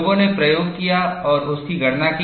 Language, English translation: Hindi, People have done experimentation and calculated it